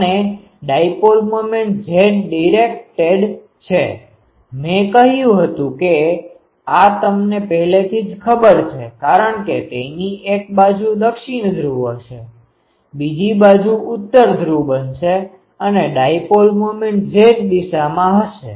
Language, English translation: Gujarati, And dipole moment is Z directed I said this you already know because one side of it will be ah south pole, another side is north pole will be created and the dipole moment will be in the Z direction